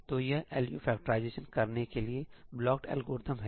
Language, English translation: Hindi, So, this is the blocked algorithm to do LU factorization